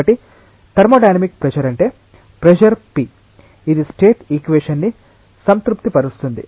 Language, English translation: Telugu, So, thermodynamic pressure is that pressure p which will satisfy the equation of state